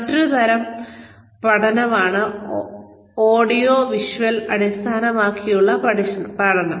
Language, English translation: Malayalam, The other type of learning is, audiovisual based training